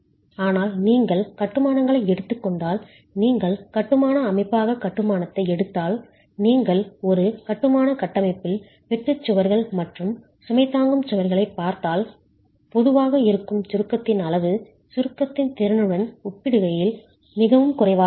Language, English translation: Tamil, But if you take masonry, if you take masonry as a structural system, if you look at shear walls and load bearing walls in a masonry structure, we know that the level of compression that exists is typically very low in comparison to the capacity in compression